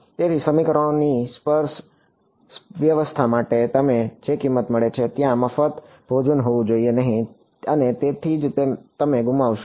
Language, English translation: Gujarati, So, that is the price you get for a sparse system of equations there has to be there is no free lunch and that is why you lose out